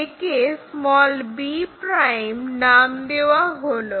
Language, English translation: Bengali, So, b ' is known